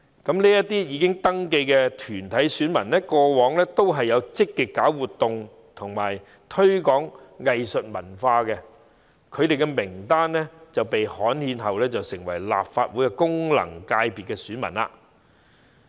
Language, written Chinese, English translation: Cantonese, 這些已登記的團體選民過往也有積極舉辦活動和推廣藝術文化，其名單經刊憲便成為立法會功能界別的選民。, These registered corporate electors have organized activities and promoted arts and culture in a proactive manner in the past and they will become FC electors of the Legislative Council election upon gazettal